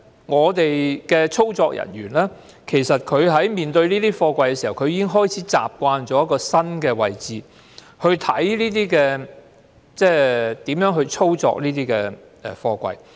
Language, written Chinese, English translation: Cantonese, 我們的操作人員處理這些貨櫃時，已經開始習慣因應新的位置，看看如何操作這些貨櫃。, Our container workers already get used to handling these containers according to the new positions of their safety approval plates affixed